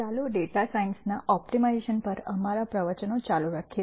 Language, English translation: Gujarati, Let us continue our lectures on optimization for data science